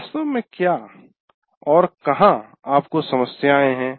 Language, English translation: Hindi, Where exactly do you have issues